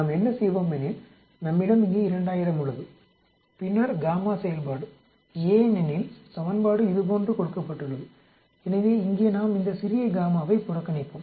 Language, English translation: Tamil, What we will do is, we have 2000 here and then gamma function because the equation is given like this, so here we will neglect this small gamma